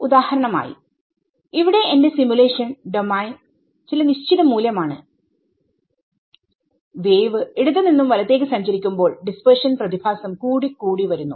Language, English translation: Malayalam, So, what can that threshold be; for example, my simulation domain is some fixed amount over here and as the wave travels from the left to the right the dispersion effects will grow more and more